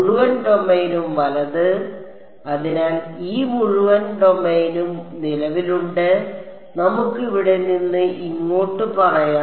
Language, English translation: Malayalam, The entire domain right; so, this entire domain which is existing all the way from let us say here to here